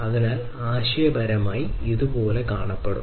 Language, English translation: Malayalam, So, conceptually it would look like this